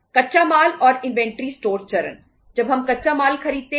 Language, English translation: Hindi, Raw material and inventory stores stage